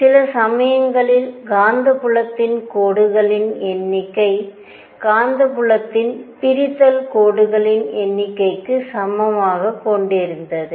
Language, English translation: Tamil, And also saw that at times the number of lines in magnetic field number of lines split magnetic field were even